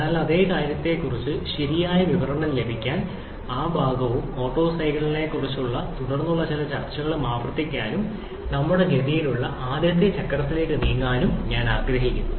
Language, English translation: Malayalam, So, to have a proper description of the same thing, I would like to repeat that portion and also some subsequent discussion on the Otto cycle and then moving on to the next cycle in our course